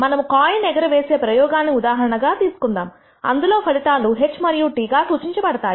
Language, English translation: Telugu, Let us take the example of a coin toss experiment in which the outcomes are denoted by symbols H and T